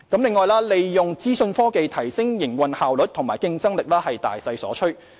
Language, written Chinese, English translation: Cantonese, 此外，利用資訊科技提升營運效率及競爭力是大勢所趨。, Furthermore making use of information technology to enhance operational efficiency and competitive edge is a general trend